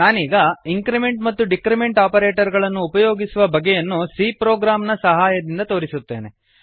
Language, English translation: Kannada, I will now demonstrate the use of increment and decrement operators with the help of a C program